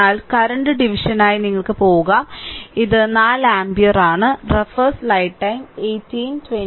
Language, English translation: Malayalam, But we will go for current division and this is 4 ampere